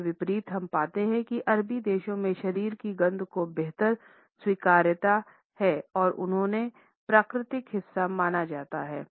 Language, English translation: Hindi, In contrast we find in that in Arabic countries there is a better acceptance of body odors and they are considered to be natural part